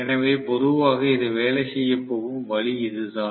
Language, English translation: Tamil, So, this is the way generally it is going to work